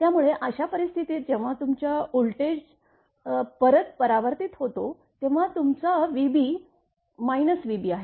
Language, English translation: Marathi, So, in that case when your voltage is reflected back, it is your v b that is your minus minus v b